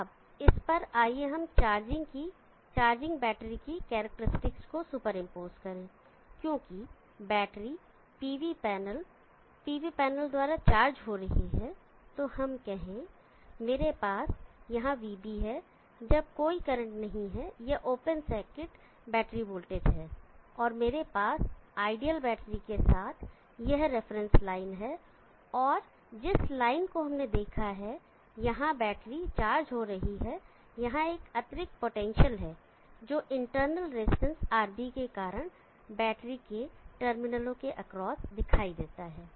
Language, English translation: Hindi, So let us say that I have VB here when there is no current this is the open circuit battery voltage and let me have this reference line with an ideal line with an ideal battery and the line as we saw the battery is charging there is an extra potation that appears across the terminal of the battery because of the internal resistance RB